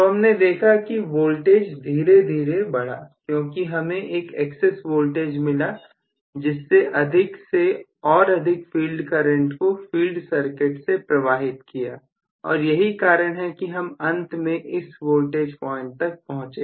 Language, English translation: Hindi, So, the voltage is building up slowly because of the excess voltage that was available to circulate a higher and higher field current through this that is the reason why the voltage ultimately reached this point